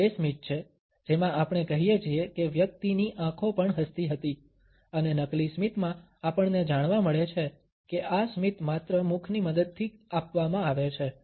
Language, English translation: Gujarati, This is the smile in which we say that the person’s eyes were also smiling and in fake smiles we find that this smile is given only with the help of the mouth